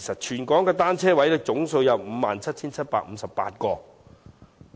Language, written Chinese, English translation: Cantonese, 全港的單車泊位總數有 57,758 個。, Parking spaces for bicycles in Hong Kong total 57 758